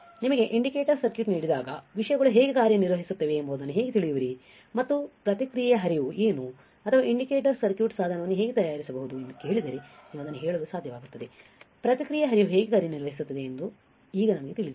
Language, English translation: Kannada, How you will know how the things works when you are given an indicator circuit and if you are asked that what are the process flow or how you can fabricate a indicator circuit or an indicator circuit or a device you will be able to at least tell that, now we know how the process flow works